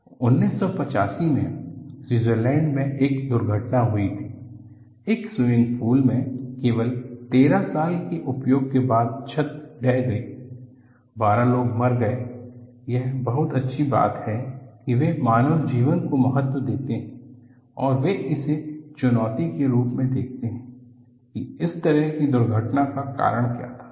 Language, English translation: Hindi, So, what happen was in 1985, there was an accident in Switzerland, in a swimming pool, the roof collapsed after only 13 years of use; there were 12 people killed; it is very nice, they value the human life's and they take this as a challenge, to look at what was the cause for this kind of an accident